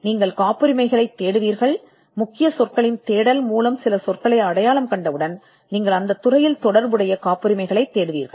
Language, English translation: Tamil, And you would look for patents, you by looking for once you identify certain terms through the keyword search you would look for related patents in that field